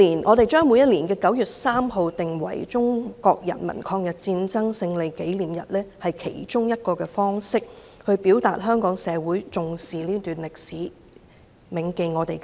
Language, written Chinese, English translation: Cantonese, 我們把每年9月3日訂為中國人民抗日戰爭勝利紀念日是其中一種方式，表達香港社會重視這段歷史，銘記先烈。, Designating 3 September each year the commemorative day of the victory of the Chinese Peoples War of Resistance against Japanese Aggression is one of the ways to express that the community attach importance to this period of history and remember the martyrs